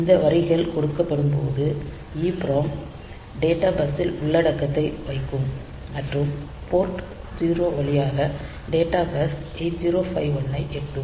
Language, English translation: Tamil, So, EPROM will put the content on the data bus and the data bus through port 0 will reach 8051